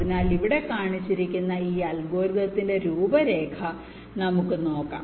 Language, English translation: Malayalam, so let us look into the outline of this algorithm which has been shown here